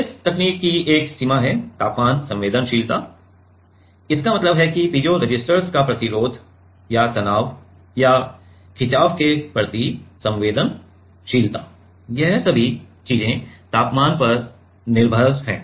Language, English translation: Hindi, One limitation of this technique is temperature sensitivity it means that the whether the resistance of the piezoresistors or sensitivity towards strain towards the stress or strain is all these things are dependent on temperature